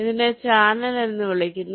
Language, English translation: Malayalam, this is called a channel